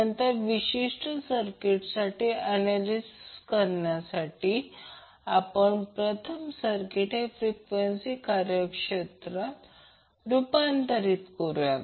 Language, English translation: Marathi, So to analyze this particular circuit we will first transform the circuit into frequency domain